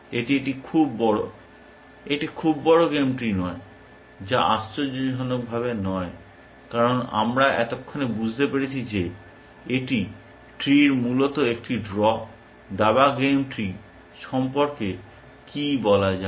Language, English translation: Bengali, It is a very, not a very large game tree essentially, which is not surprising, because we have figure out by now, that it is the value of the tree is a draw essentially, what about the chess game tree